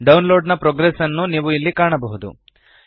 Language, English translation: Kannada, You can see here the download progress